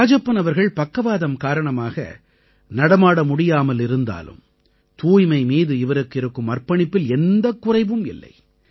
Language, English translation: Tamil, Due to paralysis, Rajappan is incapable of walking, but this has not affected his commitment to cleanliness